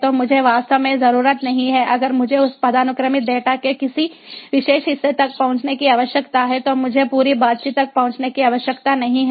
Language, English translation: Hindi, really, if i need to get access to a particular part of that hierarchical data, i dont need to access the entire conversation